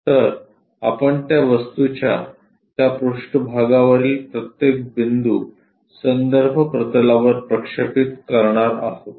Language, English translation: Marathi, So, each point on that surface of the object we are going to project it onto a reference plane